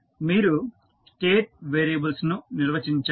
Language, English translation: Telugu, You have to define the State variables